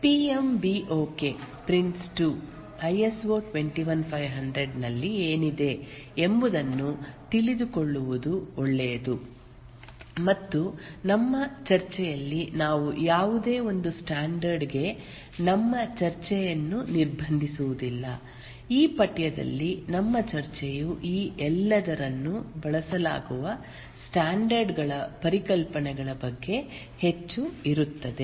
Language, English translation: Kannada, It may be a good idea to know what is involved in the PMBOK Prince 2, ISO 21,500 and in our discussion we will not restrict ourselves to any one standard, but our discussion in this course will be more on concepts that are used across all these standards